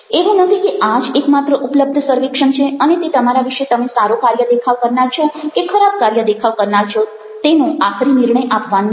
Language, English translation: Gujarati, its its not not that that is the only survey which is available and it is giving with the final judgment about you are being a very good performer or you are being a very bad performer